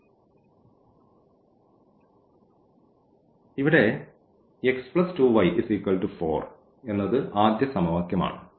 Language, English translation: Malayalam, So, here this is the first equation x plus y is equal to 4